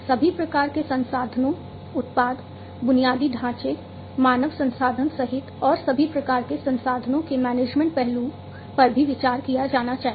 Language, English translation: Hindi, All kinds of resources including the product, the infrastructure, the human resources and all kinds of resources the management aspect of it should also be consideration alongside